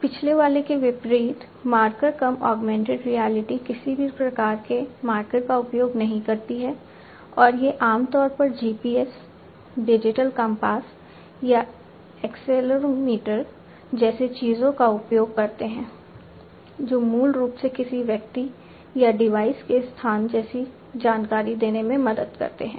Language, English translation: Hindi, The marker less augmented reality unlike the previous one does not use any kind of marker and these commonly used things like GPS, digital compass or accelerometer, which basically help in offering information such as the location of a person or a device